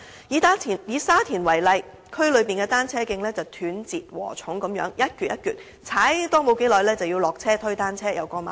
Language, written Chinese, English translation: Cantonese, 以沙田為例，區內單車徑一如"斷截禾蟲"般，踏沒多久便要下車推單車過馬路。, In the case of Sha Tin for example the cycle tracks in the district are fragmented and a cyclist must dismount and push his bike at zebra crossings after cycling for a very short distance